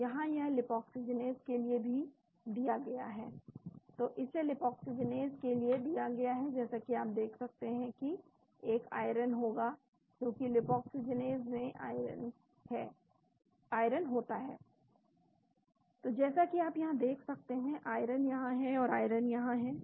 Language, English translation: Hindi, So, here it is also given for the 5 Lipoxygenase so it is given for 5 Lipoxygenase as you can see there will be an iron because Lipoxygenase contains iron So, as you can see here, the iron is here and iron is here there